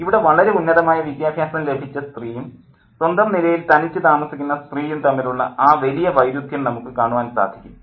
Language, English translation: Malayalam, So, we can see a stark contrast here between a very, very well educated woman and a woman who is on her own